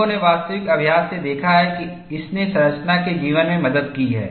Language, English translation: Hindi, People have observed from actual practice, that it has helped, the life of the structure